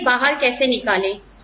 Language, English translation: Hindi, Do we throw them out